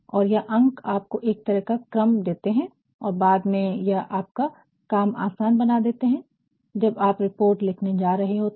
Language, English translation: Hindi, And, these numbers provide you a sort of sequence and this will later make your task very easier when you are going to write the report